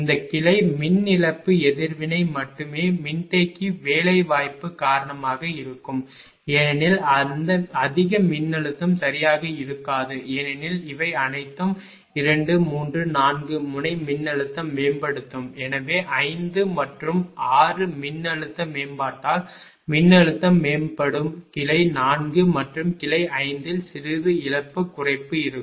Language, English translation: Tamil, Only this branch power loss reaction will be there because of the capacitor placement do not match voltage will be improved right because of the because all these 2, 3, 4 node voltage will improve hence 5 and 6 also voltage will improve due to the voltage improvement there will be little bit of loss reduction in branch 4 and branch 5